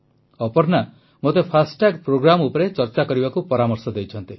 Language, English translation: Odia, Aparna ji has asked me to speak on the 'FASTag programme'